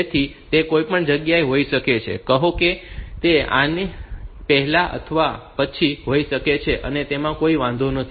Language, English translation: Gujarati, So, it can be at any stay say somewhere before this or after this it does not matter